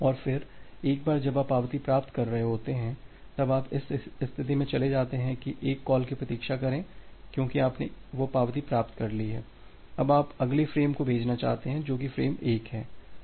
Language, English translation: Hindi, And then once you are receiving the acknowledgement, then you move to this state, that wait for call one because you have received that acknowledgement, now you want to send the next frame that is frame 1